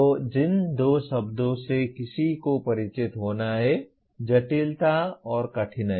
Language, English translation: Hindi, So the two words that one has to be familiar with, complexity and difficulty